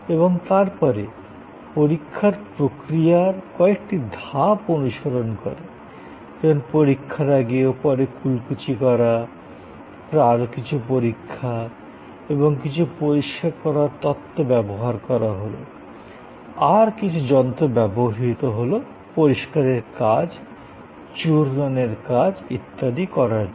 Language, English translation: Bengali, And then, the process of examination followed a certain set of steps like gargling or examination and then, again spitting and then, again further examination and some cleaning agents were used and some machines were used to provide certain cleaning functions, grinding functions and so on